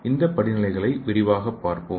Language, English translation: Tamil, So let us see these steps in detail